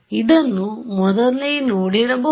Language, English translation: Kannada, So, you may have seen this earlier